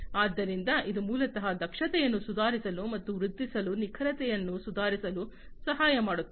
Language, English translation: Kannada, So, this basically helps in improving the efficiency and improving, improving the precision, and so on